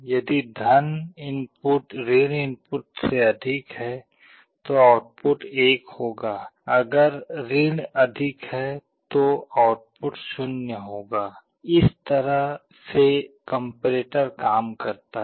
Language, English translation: Hindi, If the + input is greater than the – input, then the output will be 1; if is greater, output will be 0, this is how comparator works